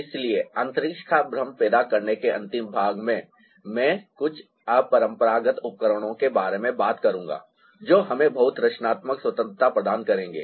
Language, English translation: Hindi, so in the last part of creating illusion of space, i'll talk about a few unconventional devices that, again, will ah provide us with a lot of creative freedom